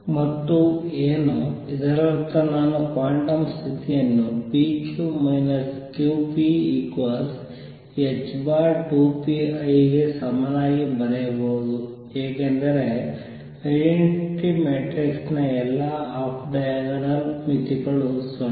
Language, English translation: Kannada, And what; that means, is that I can write the quantum condition as p q minus q p equals h over 2 pi i times the identity matrix because all the off diagonal limits of identity matrix are 0